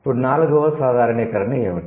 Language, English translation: Telugu, What is the sixth generalization